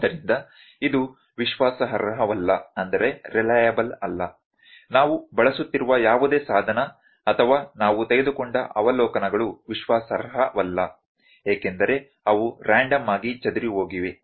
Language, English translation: Kannada, So, it is not reliable; whatever the instrument we are using or whatever the observations we have taken those are not reliable, because those are very randomly scattered